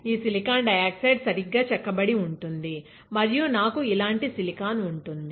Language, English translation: Telugu, This silicon dioxide will get etched right, and I will have silicon like this